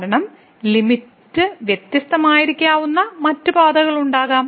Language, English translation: Malayalam, Because there may be some other path where the limit may be different